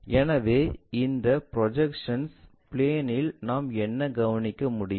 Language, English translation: Tamil, So, same thing what we can observe it on this projection plane